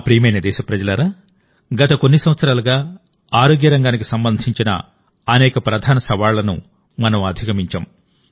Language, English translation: Telugu, My dear countrymen, in the last few years we have overcome many major challenges related to the health sector